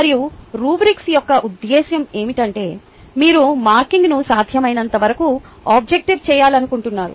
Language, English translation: Telugu, and this is exactly what the purpose of rubric is, where you want to make the marking as objective as possible